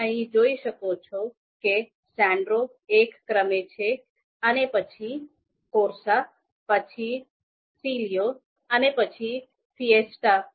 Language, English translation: Gujarati, So you can see here Sandero is ranked one, and then Corsa, then Clio and then Fiesta